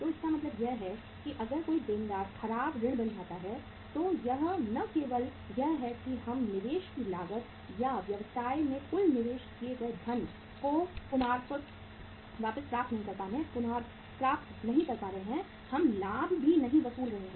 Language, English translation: Hindi, So it means if any debtor becomes a bad debt it is not only that we are not recovering the cost of investment or the total funds we have invested in the business, we are not recovering the profit also